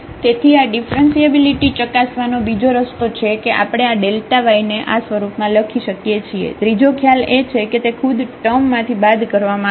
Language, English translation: Gujarati, So, this is another way of testing differentiability that we can write down this delta y in this form; the third one was which is which can be deducted from this term itself